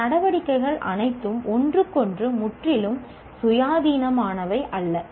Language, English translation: Tamil, All these activities are not completely independent of each other